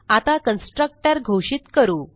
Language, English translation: Marathi, Now let us define a constructor